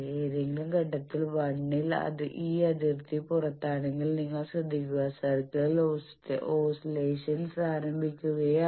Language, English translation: Malayalam, If at any point 1 is outside of this boundary then you be careful because oscillations are starting in the circle